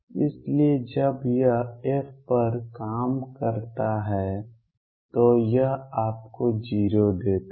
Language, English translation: Hindi, So, it when it operates on f it gives you 0